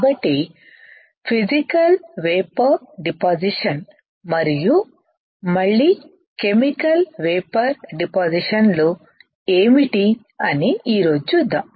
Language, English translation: Telugu, So, let us see today what are what are the Physical Vapor Depositions and what are the Chemical Vapor Depositions again